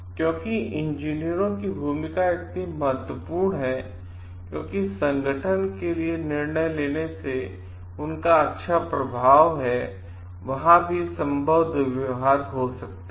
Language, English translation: Hindi, Because the role of engineers is so important, because they have a good influence on the decision making for the organization so, there could be possible abuses also